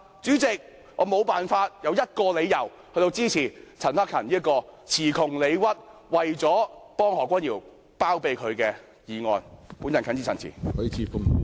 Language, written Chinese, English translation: Cantonese, 主席，我無法找出一個理由支持陳克勤議員這項詞窮理屈，只為包庇何君堯議員的議案。, President I can find no reason to support Mr CHAN Hak - kans motion which can hardly justify itself and seeks only to shield Dr Junius HO